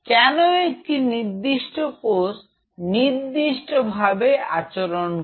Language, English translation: Bengali, Why these particular cell types behave since such a way